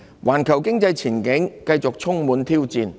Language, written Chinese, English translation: Cantonese, 環球經濟前景繼續充滿挑戰。, The global economic outlook remains challenging